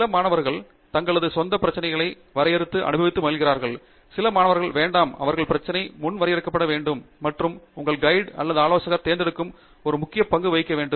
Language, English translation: Tamil, Some students enjoy the defining their own problems, some students don’t; they want the problem to be predefined and that plays an important role in choosing your advisor